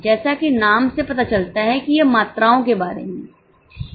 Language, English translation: Hindi, As the name suggests, it is about the quantities